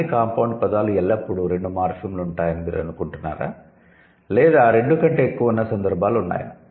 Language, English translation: Telugu, Do you think all the compound words will always have two morphemps or there are instances where it might involve more than two